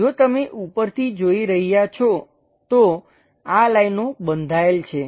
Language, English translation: Gujarati, If you are looking top view, these lines are bounded